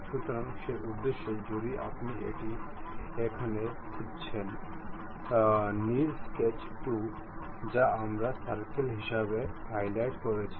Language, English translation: Bengali, So, for that purpose if you are looking here; the blue one is sketch 2, which we have highlighted as circle